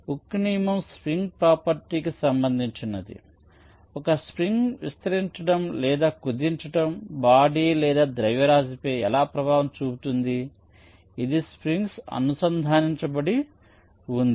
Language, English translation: Telugu, so hookes law relates to the property of a spring, how stretching or contracting a spring exerts force on a body or a mass which is connected to the spring